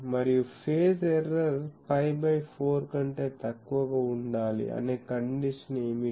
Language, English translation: Telugu, And, what is the condition that that phase error should be less than pi by 4